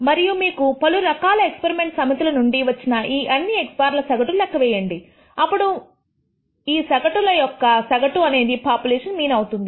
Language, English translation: Telugu, And you average all these x bars that you get from different experimental sets, then the average of these averages will tend to this population mean